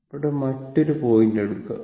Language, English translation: Malayalam, You will take another point here